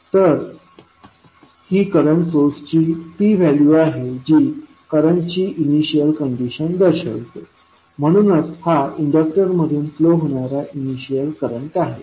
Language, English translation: Marathi, So, this will the value of a current source that will represent the initial condition that is initial current flowing through the inductor